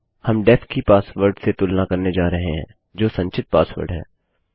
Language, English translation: Hindi, Were going to compare the password to def, which is the stored password